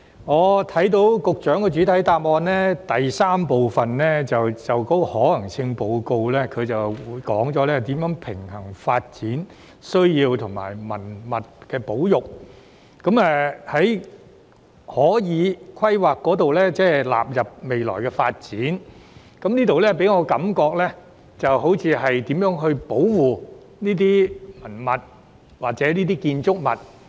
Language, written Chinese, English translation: Cantonese, 我聽到局長在主體答覆第三部分有關可行性研究的回應中，提到如何平衡發展需要及文物保育，即是透過規劃納入未來發展，而這部分給我的感覺就像是如何保護這些文物或建築物。, I heard the Secretary mention in part 3 of his main reply concerning the EFSs the approach to strike a balance between development needs and heritage conservation and that is to incorporate them in the future development through planning . It gives me the feeling that this is the approach to be adopted to protect these cultural relics or buildings